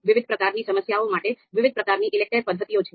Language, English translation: Gujarati, For different kinds of problems, there are different kind of ELECTRE methods